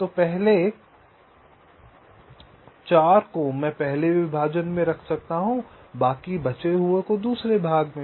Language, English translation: Hindi, so the first four i can keep in the first partition, second in the other partition